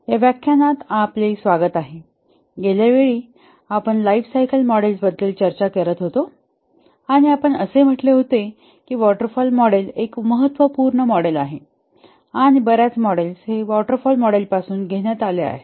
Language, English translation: Marathi, time we were discussing about lifecycle models and we had said that the waterfall model is a intuitive and important model and many models have been derived from the waterfall model